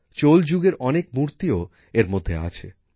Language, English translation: Bengali, Many idols of the Chola era are also part of these